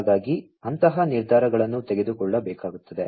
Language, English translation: Kannada, So, those kind of decisions will have to be taken